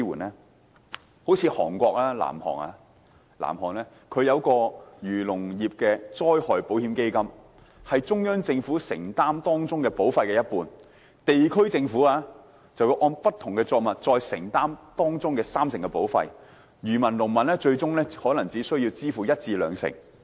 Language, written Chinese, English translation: Cantonese, 例如南韓就設立農林漁業災害保險制度，由中央政府承擔當中一半保費，地區政府再按不同作物承擔三成保費，漁民及農民最終可能只需支付一至兩成。, Take the case of South Korea as an example . It has set up an insurance system for the agriculture and fisheries industry under which the central government will bear half of the insurance premium and the district governments will bear 30 % of the premium according to the kinds of crops produced . The fishermen and the farmers may only need to pay 10 % to 20 % of the premium eventually